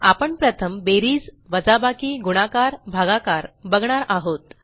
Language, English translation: Marathi, Ill first go through plus, minus, multiply and divide operations